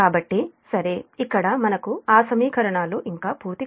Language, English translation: Telugu, so that means your, this equation also i have written